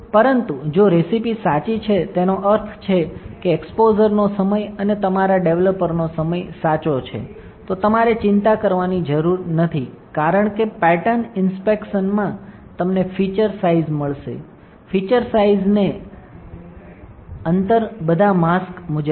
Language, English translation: Gujarati, But if the recipe is correct, that means, the time of the exposure and your developer time is correct, then you do not have to worry because in the pattern inspection you will get the feature size, whatever the feature size is there and the gap as per the mask all right